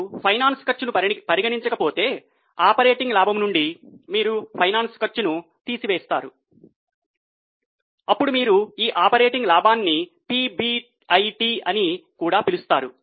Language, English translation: Telugu, If you don't consider finance costs, then from operating profit you deduct finance cost, then what operating profit is also known as PBIT